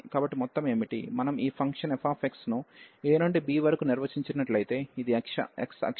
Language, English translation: Telugu, So, what was this sum, if we just take this function f x which is defined from a to b, this is x axis and we have your y axis